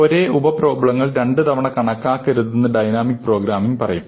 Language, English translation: Malayalam, So, dynamic programming says do not compute same sub problems twice